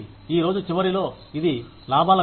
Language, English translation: Telugu, At the end of the day, it is all about profits